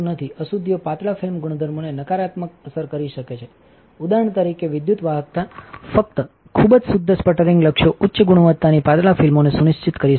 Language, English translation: Gujarati, Impurities can negatively influence the thin film properties the electrical conductivity for example, only highly pure sputtering targets can ensure high quality thin films